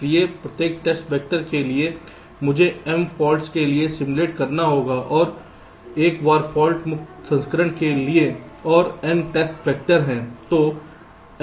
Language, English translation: Hindi, so for every test vector i have two simulate for the m faults and one time for the fault free version, and there are n test vector, so n multiplied by m plus one